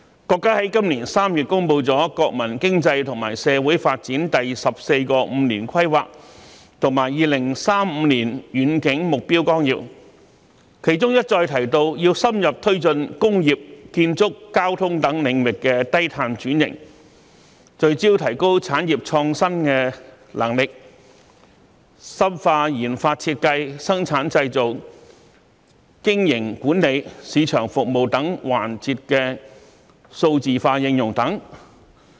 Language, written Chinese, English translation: Cantonese, 國家在今年3月公布了《中華人民共和國國民經濟和社會發展第十四個五年規劃和2035年遠景目標綱要》，當中一再提到要深入推進工業、建築、交通等領域低碳轉型，聚焦提高產業創新能力，深化研發設計、生產製造、經營管理、市場服務等環節的數字化應用等。, The Outline of the 14th Five - Year Plan for National Economic and Social Development of the Peoples Republic of China and the Long - Range Objectives Through the Year 2035 issued in March this year repeatedly mentioned the need to further carry forward low - carbon transition in the areas of industry construction and transportation; focus on enhancing industrial innovation capabilities; and deepen digital application in RD design manufacturing business management and market services etc